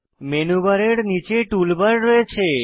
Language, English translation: Bengali, Below the Menu bar there is a Tool bar